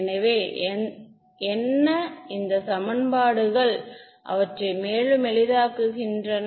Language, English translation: Tamil, So, what so, these equations they give further simplify